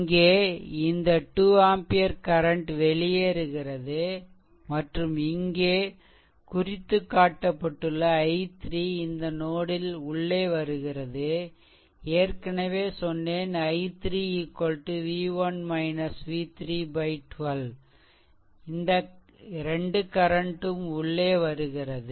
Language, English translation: Tamil, So, this i 3 current actually entering into the node and i 3 I told you earlier that i 3 is equal to v 1 minus v 3 v 1 minus v 3 by 12 these 2 currents are entering right